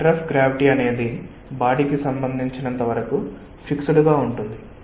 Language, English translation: Telugu, like this, the centre of gravity is something which is fixed with reference to body